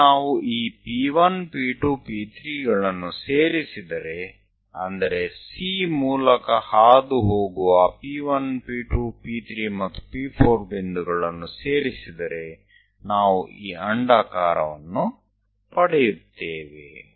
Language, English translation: Kannada, Once we join this P 1, P 2, P 3, and so on, these are the points P 1, P 2, P 3, and P 4 via C; we will get this ellipse